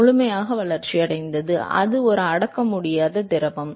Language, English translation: Tamil, Fully developed, and it is an incompressible fluid